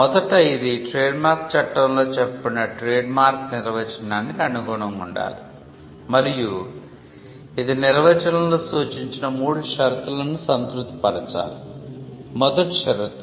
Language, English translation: Telugu, First, it should conform to the definition of trademark under the act and it should satisfy the 3 conditions provided in the definition